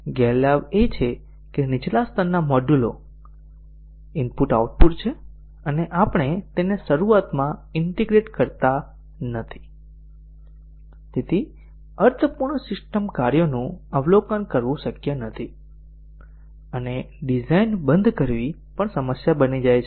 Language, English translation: Gujarati, The disadvantage is that since the low level modules are I/O and we do not integrate it in the beginning, so observing meaningful system functions may not be possible to start with and also stop design becomes a problem